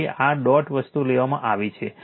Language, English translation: Gujarati, So, this dot thing is taken right